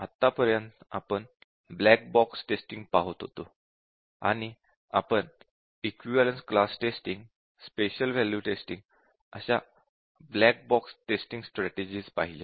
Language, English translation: Marathi, So far we have been looking at black box testing and we had looked at few black box test strategies, but looked at equivalence class test cases